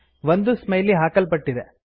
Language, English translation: Kannada, A Smiley is inserted